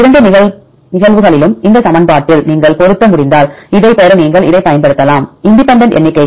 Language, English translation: Tamil, In both the cases if you are able to fit in this equation, then you can say that you can use this to get the independent counts